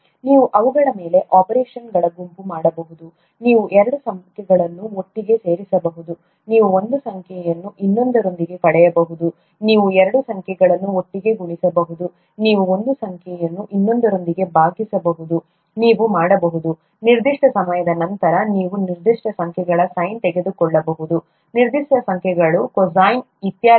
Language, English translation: Kannada, You can perform a set of operations on them, you can add two numbers together, you can subtract one number from another, you can multiply two numbers together, you can divide one number by another, you can; if after a certain while, you can take the sine of certain numbers, cosine of certain numbers, and so on so forth